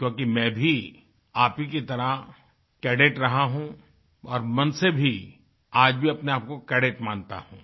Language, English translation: Hindi, More so, since I too have been a cadet once; I consider myself to be a cadet even, today